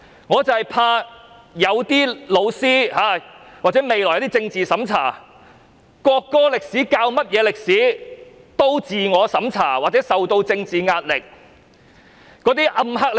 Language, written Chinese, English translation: Cantonese, 我很怕教師未來教授國歌歷史時，會自我審查或受到政治壓力。, I am afraid that when teaching the history of the national anthem in the future teachers will conduct self - censorship or face political pressure